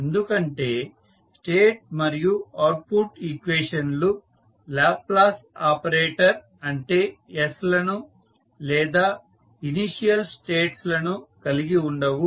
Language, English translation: Telugu, Because the state and output equations do not contain the Laplace operator that is s or the initial states